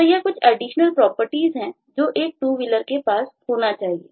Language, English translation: Hindi, so there are certain additional properties that a two wheeler must have